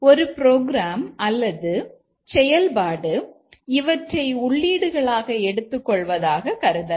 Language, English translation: Tamil, Let's assume that a program or a function takes these as the input